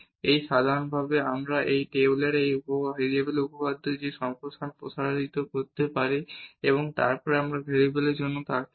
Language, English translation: Bengali, And in general also we can extend that expansion in this Taylor’s theorem of one variable and then we can have for the two variables as well